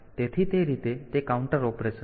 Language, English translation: Gujarati, So, that way it is a counter operation